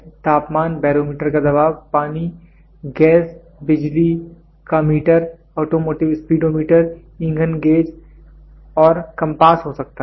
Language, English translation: Hindi, It can be temperature, it can be barometer pressure, water, gas, electric meter, automotive speedometer and fuel gage and compass